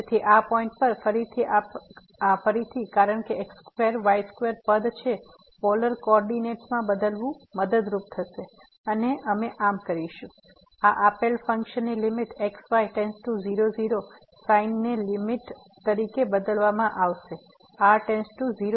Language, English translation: Gujarati, So, at this point again because square square term is there, changing to polar coordinate will be helpful and we will do so the limit goes to sin this given function will be changed to as limit to 0